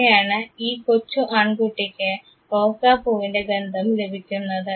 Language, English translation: Malayalam, This is how this young boy got this smell of the rose